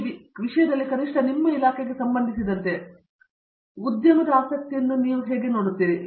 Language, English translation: Kannada, In this context at least with respect to your department, where do you see the industry interest